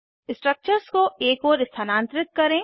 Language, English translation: Hindi, Lets move the structures to a side